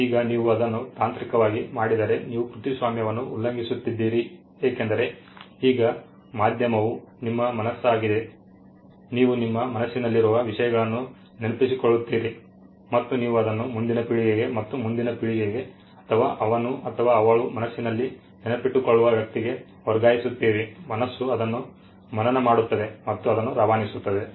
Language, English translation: Kannada, Now if you do that technically are you violating a copyright because, now the medium is your mind you remember things in your mind and you pass it on to the next generation and the next generation or the person who from you he or she remembers in her mind memorizes it and passes it on